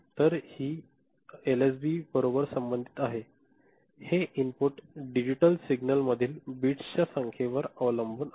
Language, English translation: Marathi, So, this is associated with the LSB right, it depends on the number of bits in the input digital signal ok